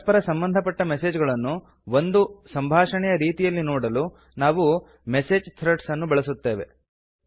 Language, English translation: Kannada, We use message threads to view related messages as one entire conversation, in a continuous flow